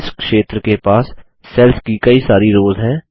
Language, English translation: Hindi, This area has several rows of cells